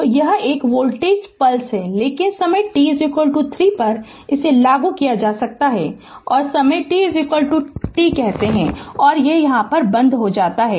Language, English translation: Hindi, So, it is a voltage pulse so at time t is equal to 3 it is switched on and say time t is equal to 6, it is switched off right